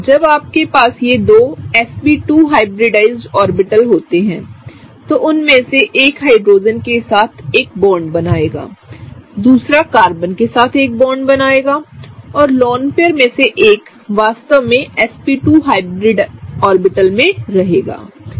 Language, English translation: Hindi, When you have these sp2 hybridized orbitals, one of them will form a bond with Hydrogen, the other one will form a bond with Carbon and one of the lone pairs will actually stay in the sp2 hybridized orbitals, okay